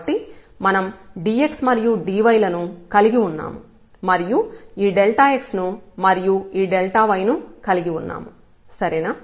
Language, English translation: Telugu, So, we have the dx and we have the del dy and then we have again this delta x and then we have here delta y ok